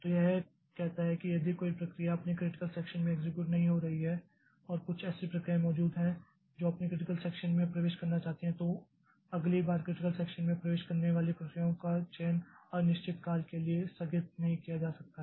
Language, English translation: Hindi, So, it says that if no process is executing in its critical section and there exist some processes that wish to enter their critical section, then the selection of the processes that will enter into the critical section next cannot be postponed indefinitely